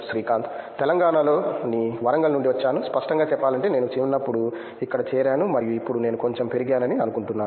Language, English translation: Telugu, From Warangal, Telangana, so to be frank I joined here as a kid and I think now I have grown up little bit